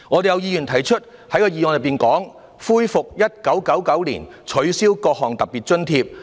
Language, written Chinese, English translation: Cantonese, 有議員在其修正案中提出"恢復發放於1999年取消的各項特別津貼"。, A Member has proposed in his amendment reinstating the various special grants cancelled in 1999